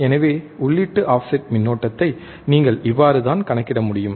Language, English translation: Tamil, So, this is how you can calculate the input offset current, right easy